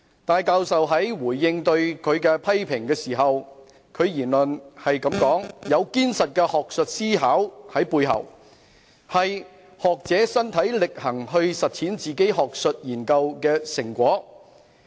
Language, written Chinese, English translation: Cantonese, 戴教授在回應對他的批評時表示，他的言論是"有堅實的學術思考在背後"，是"學者身體力行去實踐自己學術研究的成果"。, Professor TAI said in response to the criticisms against him that there is a solid academic thinking behind his remarks and this was what a scholar did to put the outcome of his academic researches into personal practice